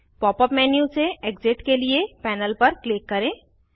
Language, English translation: Hindi, Click on the panel to exit the Pop up menu